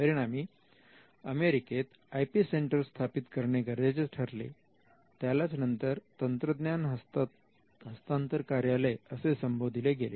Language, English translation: Marathi, This require them to have an IP centre and the IP centre in the United States is what is called that technology transfer office